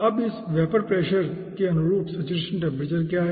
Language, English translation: Hindi, okay now what is the saturation temperature corresponding to this vapor pressure